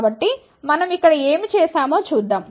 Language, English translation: Telugu, So, let us see what we have done here